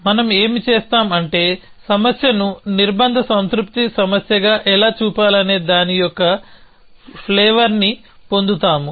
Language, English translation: Telugu, So, what we will do is, we will just get a flavor of how to pose a problem as a constraint satisfaction problem